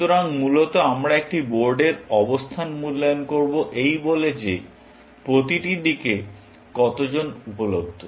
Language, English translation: Bengali, So, essentially we will evaluate a board position by saying that how many are available to each side